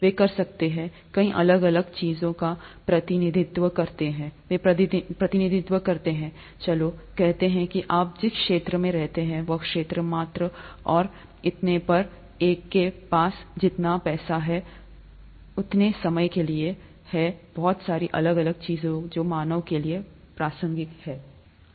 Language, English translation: Hindi, They can represent many different things, they can represent, let’s say the space that you live in, the area, the volume and so on, the amount of money that one has, the amount of time that one has, the amounts of so many different things that are relevant to humans